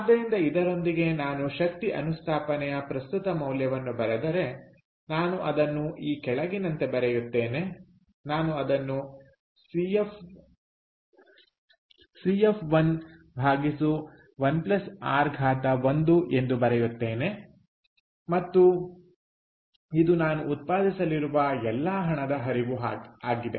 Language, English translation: Kannada, so therefore, with this, if i write present value of an energy installation, i would write it as the following: i would write it as cf of one divided by one plus r to the power, one right plus